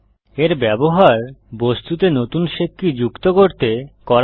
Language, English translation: Bengali, This is used to add a new shape key to the object